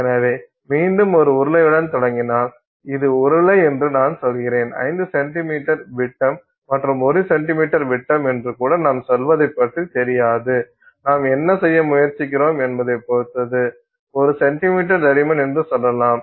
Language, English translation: Tamil, So, again if you start with the cylinder and let's say this is some I mean say cylinder, I don't know, let's say, same thing we will say 5 cm in diameter and or even one centimeter in diameter it depends on what you are trying to do and say one centimeter thick